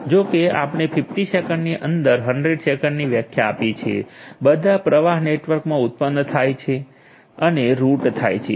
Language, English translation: Gujarati, So, although we have defined 100 seconds within 50 seconds all flows are generated and routed in the network